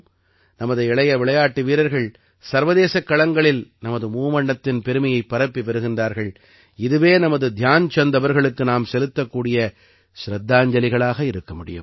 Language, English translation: Tamil, May our young sportspersons continue to raise the glory of our tricolor on global forums, this will be our tribute to Dhyan Chand ji